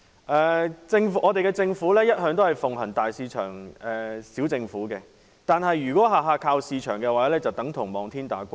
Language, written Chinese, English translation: Cantonese, 我們的政府一向奉行"大市場、小政府"，但如果事事要靠市場的話，即等同望天打卦。, Our Government has always followed the principle of big market small government but if we leave everything to market mechanism it means leaving everything to luck